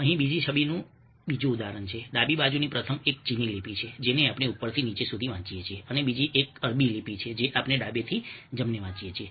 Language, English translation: Gujarati, the first one, on the left hand side, is a chinese script which we read from the top to the bottom, and the other one is an Arabic script which we read from left to the right